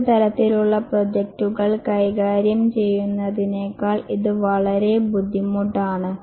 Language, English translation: Malayalam, It is much harder than managing other types of projects